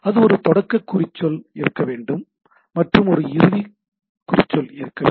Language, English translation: Tamil, So, it is there should be a start tag, and there should be a end tag